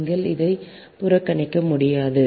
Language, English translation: Tamil, you cannot ignore right